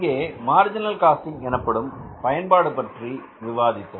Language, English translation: Tamil, So, we are learning about the marginal costing